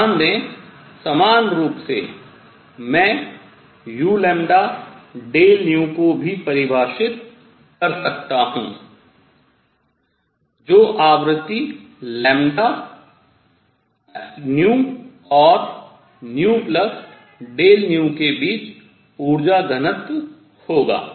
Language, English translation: Hindi, Notice, equivalently I can also define u nu; delta nu which will be energy density between frequency nu and nu plus delta nu